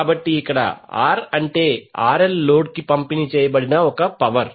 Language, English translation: Telugu, So here, R means RL the power delivered to the load